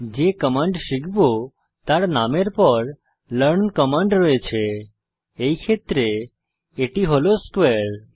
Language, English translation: Bengali, The command learn is followed by the name of the command to be learnt, in this case it is a square